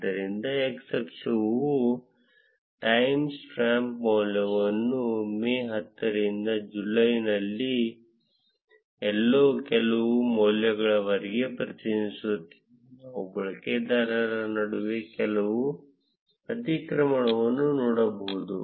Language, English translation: Kannada, So, the x axis represents the timestamp value starting from 10th May to somewhere around some values in July, where we can see some overlap between the user